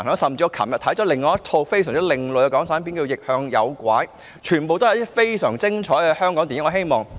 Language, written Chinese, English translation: Cantonese, 我昨天亦欣賞到另一套另類港產片，名為"逆向誘拐"，上述都是非常精彩的香港電影。, Yesterday I watched another type of Hong Kong film entitled Napping Kid . These Hong Kong films are marvellous